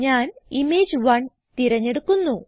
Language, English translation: Malayalam, So, I will choose Image1